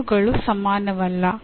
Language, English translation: Kannada, So, they are not equal